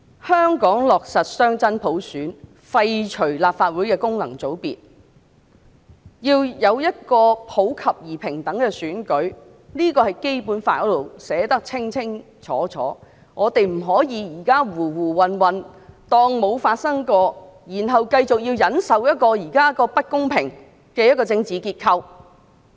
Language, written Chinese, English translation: Cantonese, 香港落實雙真普選，廢除立法會的功能界別，要有普及而平等的選舉，這點在《基本法》裏清楚訂明，我們現在不可以胡胡混混當作沒有發生過，然後繼續忍受現時不公平的政治架構。, That Hong Kong will implement genuine dual universal suffrage abolish FCs in the Legislative Council and have universal and equal elections is stipulated clearly in the Basic Law . We cannot just muddle along and pretend that this has not happened then continue to tolerate the existing unfair political structure . Many Members of the pro - establishment camp criticized the elections claiming how unfair they are to them